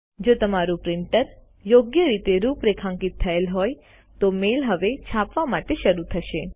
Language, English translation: Gujarati, If your printer is configured correctly, the mail must start printing now